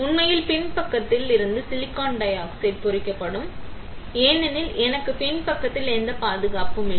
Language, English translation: Tamil, In reality the silicon dioxide from back side will also get etch, because I do not have any protection on the back side